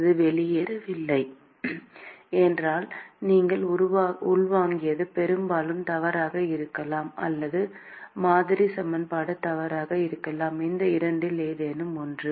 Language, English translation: Tamil, If it does not fall out, then what you intuited is most likely wrong, or the model equation is wrong: either of these two